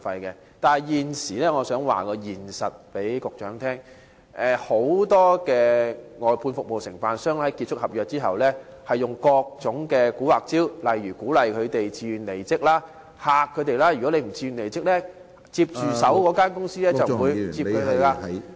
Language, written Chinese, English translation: Cantonese, 可是，我想告訴局長，現實是很多外判商在合約結束後，便會使出各種"蠱惑"招數，例如鼓勵員工自願離職，又或威嚇員工，指如他們不自願離職，接手的公司即不會繼續聘用他們......, However I would like to tell the Secretary that in reality upon the completion of their contract many outsourced contractors will adopt all kinds of crafty tactics such as encouraging workers to resign voluntarily or threatening workers that the succeeding company will not offer continual employment if they refuse to resign voluntarily